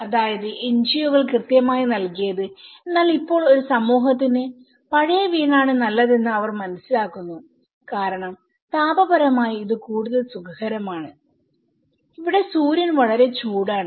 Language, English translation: Malayalam, That is what exactly the NGOs have given but now, they are realizing that a community it is better have a old house because it is much more you know, thermally it is more comfortable and here, sun is very hot